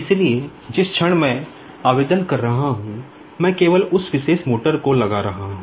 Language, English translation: Hindi, So, the moment I am just applying, I am just putting that particular motor on